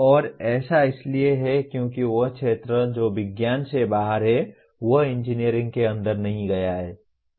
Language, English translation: Hindi, And that is because the area that is outside science and inside engineering has not been attended to